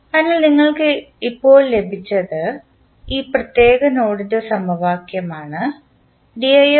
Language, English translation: Malayalam, So, what you have got now, you have got the equation connected to this particular node